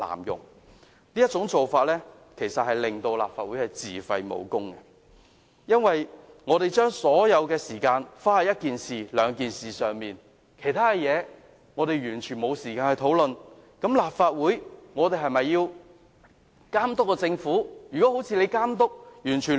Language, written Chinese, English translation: Cantonese, 這種做法其實是會令立法會自廢武功，我們把所有時間花在一兩件事情上，完全沒有時間討論其他事項，那麼，立法會是否還能夠監督政府呢？, This will actually lead to dysfunction of the Council . We use up all the time on one or two issues with no time left for discussing other items . Then can the Council still monitor the Government?